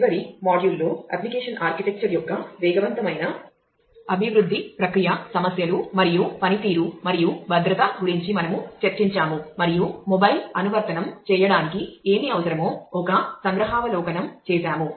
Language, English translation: Telugu, In the last module we have discussed about different aspects of application architecture rapid development process issues and performance and security and took a glimpse in terms of, what is required for doing a mobile app